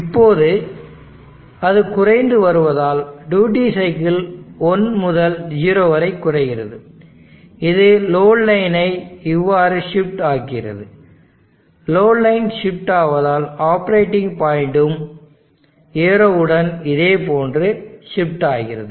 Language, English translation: Tamil, Now as it is decreasing, duty cycle decreasing means from 1 to 0 it is decreasing the load line is shifting like this, the load line is shifting such that the operating point is shifting in this fashion along this arrow like this